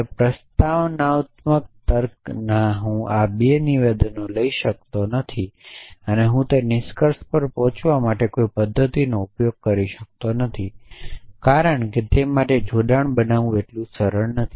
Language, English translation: Gujarati, Now, in propositional logic I cannot take these 2 statements and I cannot device a mechanism for arriving a that conclusion, because it is not so straightforward to to make the connection for that